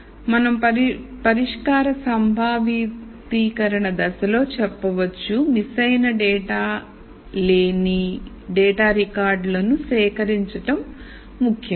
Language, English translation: Telugu, So, we might say in a solution conceptualization step, it is important to collect records of data which have no missing data